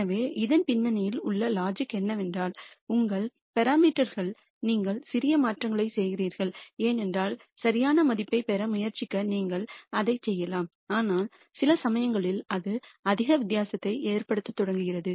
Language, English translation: Tamil, So, the logic behind this is that if you are making minor modi cations to your parameters you can keep doing it to try to get to perfect value, but at some point it starts making not much of a difference